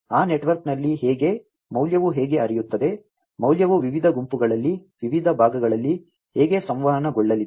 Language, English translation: Kannada, How within that network, how the value is going to flow, how the value is going to be communicated across different groups, across different segments